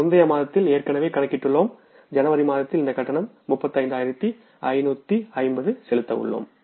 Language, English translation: Tamil, And this payment we are going to make in the month of January, that is for 35,550